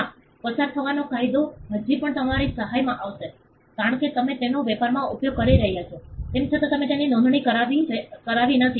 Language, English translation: Gujarati, Yes, the law of passing of will still come to your help, because you have been using it in trade, though you have not registered it